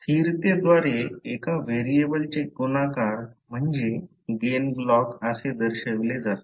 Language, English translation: Marathi, The multiplication of a single variable by a constant is represented by the gain block